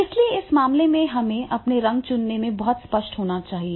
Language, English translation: Hindi, So, therefore, in that case, we have to be very clear in choosing our colors